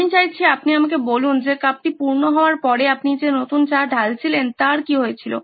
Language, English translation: Bengali, I want you to tell me what happened to the new tea that you were pouring once the cup was full